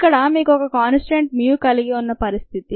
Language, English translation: Telugu, ok, that is a situation when you have mu as a constant